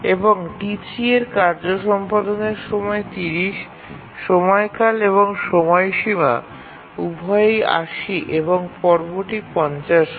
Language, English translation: Bengali, And task T3, the execution time is 30, the period and deadline are both 80 and the phase is 50